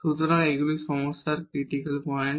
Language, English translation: Bengali, So, these are the critical points of this problem